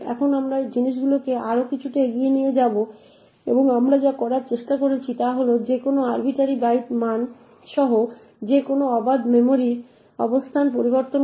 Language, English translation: Bengali, Now we will take things a bit more further and what we are trying to do is change any arbitrary memory location with any arbitrary byte value